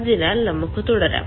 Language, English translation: Malayalam, so let us proceed